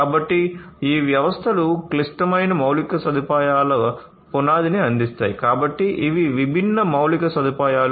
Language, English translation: Telugu, So, these systems will provide the foundation of our critical infrastructure; so, different infrastructure